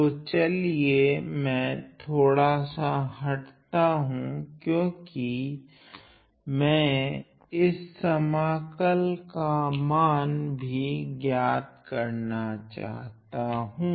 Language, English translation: Hindi, So, let me just digress; let me just digress a little bit because I want to evaluate this integral as well